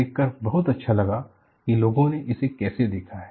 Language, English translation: Hindi, You know, it is very nice to see, how people have looked at it